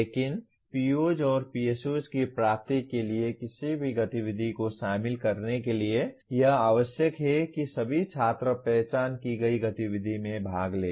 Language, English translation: Hindi, But for any activity to be included in computing the attainment of POs and PSOs it is necessary that all students participate in the identified activity